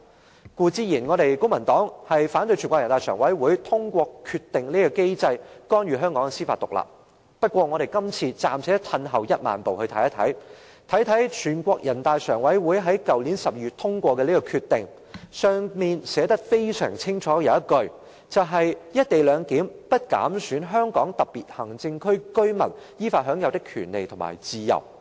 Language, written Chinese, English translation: Cantonese, 公民黨固然反對全國人民代表大會常務委員會透過其決定的機制，干預香港的司法獨立，不過，我們這次暫且退一萬步，看看人大常委會於去年12月通過的決定，當中清楚訂明"一地兩檢"安排"不減損香港特別行政區居民依法享有的權利和自由"。, The Civic Party certainly opposes interference by the Standing Committee of the National Peoples Congress NPCSC in Hong Kongs judicial independence through its mechanism of decisions . Nevertheless this time let us leave everything aside for the time being and look at the Decision made by NPCSC in December last year . It clearly states that the co - location arrangement does not undermine the rights and freedoms enjoyed by the residents of the Hong Kong Special Administrative Region in accordance with law